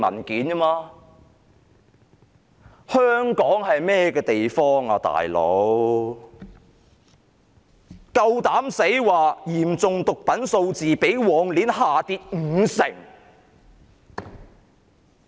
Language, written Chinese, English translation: Cantonese, 警方竟然敢說嚴重毒品案數字較上一年下跌五成。, The Police have surprisingly said that there was a 50 % drop in the number of serious drug cases compared with the previous year